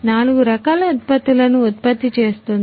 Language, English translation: Telugu, is a producing four different kinds of products